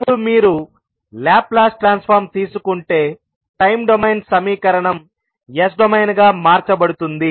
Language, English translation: Telugu, Now, if you take the Laplace transform we get the time domain equation getting converted into s domain